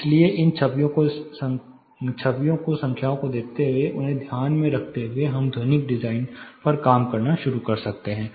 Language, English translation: Hindi, So, looking these images plus the numbers, taking them into consideration, we can start working and reworking on the acoustical design